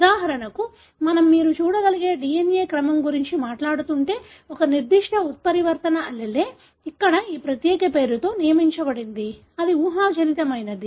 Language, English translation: Telugu, For example, if we are talking about the DNA sequence you can see, a particular mutant allele is designated with this particular nomenclature here; it is hypothetical